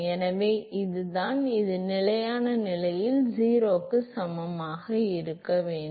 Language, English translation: Tamil, So, that is the, and that should be equal to 0 under steady state